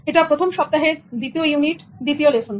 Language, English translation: Bengali, This is the first week, second unit